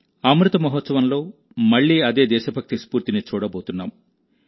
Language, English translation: Telugu, We are getting to witness the same spirit of patriotism again in the Amrit Mahotsav